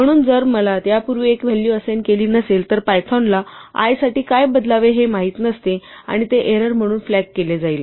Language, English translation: Marathi, So, if i have not already been assigned a value before, python would not know what to substitute for i and it would be flagged as an error